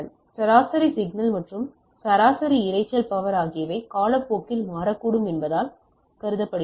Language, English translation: Tamil, So, average signal and average noise power are considered as these may change with time right